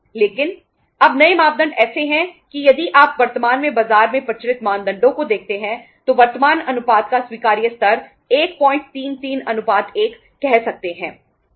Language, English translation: Hindi, But now the new norms are like that if you see the norms currently prevailing in the market the proper say you can call it acceptable level of current ratio is 1